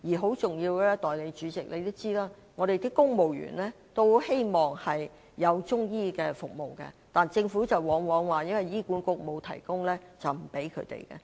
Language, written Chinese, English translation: Cantonese, 很重要的是，代理主席，你也知道公務員很希望獲提供中醫服務，但是，政府往往表示因為醫管局沒有中醫服務便不向他們提供。, There is one very important point . Deputy President you may also be aware that civil servants long for the provision of Chinese medicine service but they are often denied the service by the Government on the grounds that HA does not provide Chinese medicine service